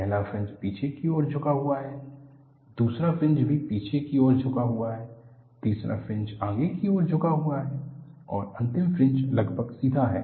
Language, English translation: Hindi, The first fringe is backward tilted; the second fringe is also backward tilted; the third fringe is forward tilted and the inner fringe is almost straight